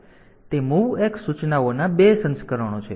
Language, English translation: Gujarati, So, those are 2 versions of the MOVX instructions